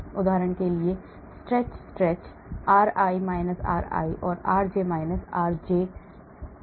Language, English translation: Hindi, for example stretch stretch r i – r i o, r j – r j o